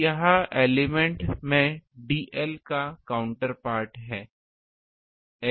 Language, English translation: Hindi, So, this is the counter part of the dl in the um elemental a